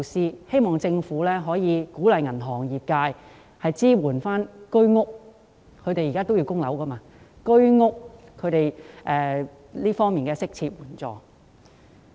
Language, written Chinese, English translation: Cantonese, 我希望政府可以鼓勵銀行業支援需要償還物業貸款的居屋業主，提供適切的援助。, I hope that the Government will encourage the banking sector to support HOS owners who need to repay mortgage loans and provide them with appropriate assistance